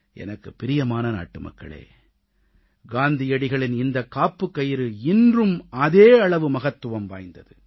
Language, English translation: Tamil, My dear countrymen, one of Gandhiji's mantras is very relevant event today